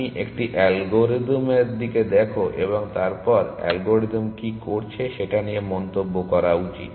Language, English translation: Bengali, You should at a algorithm look at a algorithm and comment on what the algorithm is doing